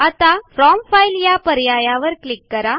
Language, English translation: Marathi, Now click on From File option